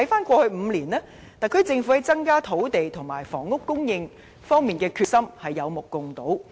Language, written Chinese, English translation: Cantonese, 過去5年來，特區政府在增加土地和房屋供應方面的決心有目共睹。, In the past five years the SAR Government demonstrated notable determination in raising land and housing supplies